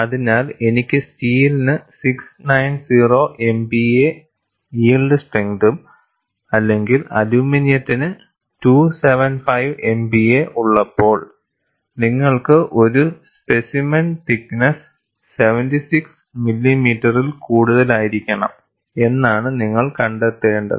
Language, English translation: Malayalam, So, what you find is, when I have steel of yield strength of 690 MPa or aluminum of 275 MPa, you need a specimen, thickness should be greater than 76 millimeter